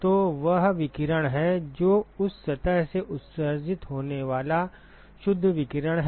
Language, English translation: Hindi, So, that is the radiation that is net radiation emitted from that surface